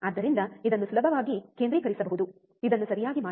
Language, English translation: Kannada, So, it can be focused easily, right this one